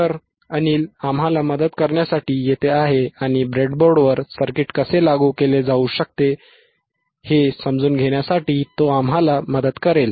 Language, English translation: Marathi, So, Anil is here to help us, and he will be he will be showing us how the circuit you can be implemented on the breadboard